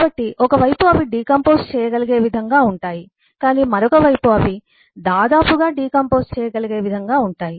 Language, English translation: Telugu, so on one side they are decomposable but other side they are nearly decomposable